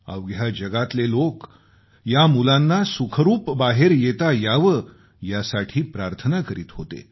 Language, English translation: Marathi, The world over, people prayed for the safe & secure exit of these children